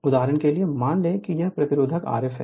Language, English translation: Hindi, For example, suppose this resistance is R f right